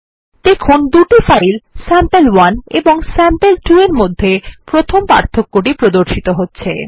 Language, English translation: Bengali, As we can see the first difference between the two files sample1 and sample2 is pointed out